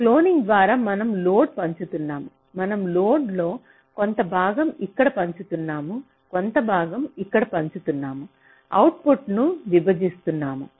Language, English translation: Telugu, ok, some part of the load we are sharing here, some part of the load we are sharing here, dividing output